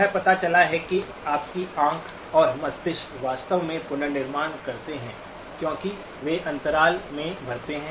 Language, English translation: Hindi, It turns out that your eye and brain actually do the reconstruction because they fill in the gaps